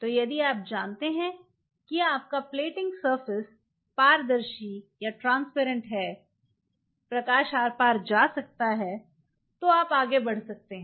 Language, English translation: Hindi, So, if you know that your plating surface is transparent light can move back and forth